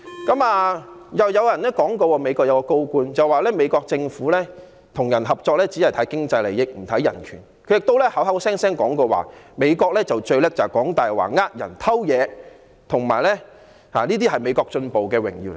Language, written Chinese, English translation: Cantonese, 另外，又有一位美國高官說，美國政府與人合作只看經濟利益，不看人權，他亦口口聲聲說美國最擅長說謊、騙人、偷東西，而且這些是美國進步的榮耀等。, Moreover another high - ranking official of the Unites States said that the United States Government will work with anyone as long as it serves American interests regardless of human rights . He also claimed that Americans are the most adept at lying cheating and stealing and it represents the glory of the American experiment